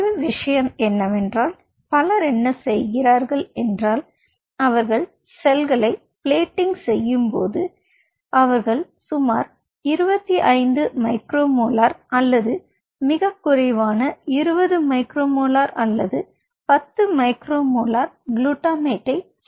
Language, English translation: Tamil, one of the things what many people does is that they, while plating the cells, they add very trace amount of around twenty five micromolar or even much less, maybe twenty micro molar or maybe ten micro molar of glutamate